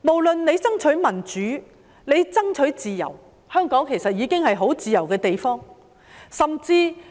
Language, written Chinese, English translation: Cantonese, 他們要爭取民主、自由，但香港其實已經是一個很自由的地方。, They are fighting for democracy and freedom but in fact Hong Kong is already a very liberal place